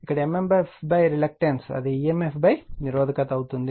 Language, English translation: Telugu, Here it is emf upon resistance that is mmf upon reluctance